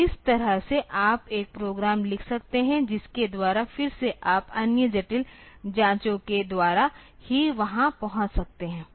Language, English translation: Hindi, So, this way you can write a program by which, again this as you can just by other complex checks can be there